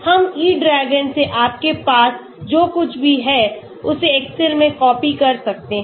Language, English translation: Hindi, We can copy, paste from excel whatever you have from E DRAGON